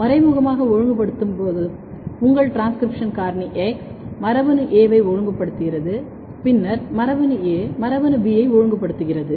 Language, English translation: Tamil, In indirect case your transcription factor X is regulating gene A and then gene A is regulating gene B